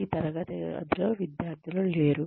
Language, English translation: Telugu, There are no students in this classroom